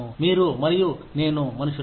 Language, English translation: Telugu, You and I are human beings